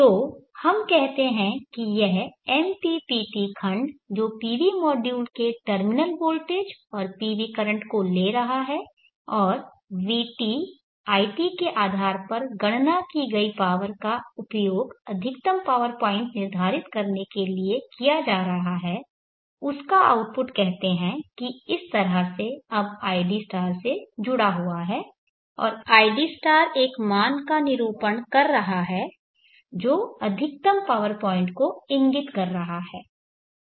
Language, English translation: Hindi, So let us say this block which is taking the terminal voltage of the pv modular and the pv current into it and the power calculated based on Vt it is used for determining the maximum power point the output of torque is now connected to Id like this say and Id is representing the value to which is indicating the maximum power point so this Id is used as a set point and why do you tried to match it on the in such a way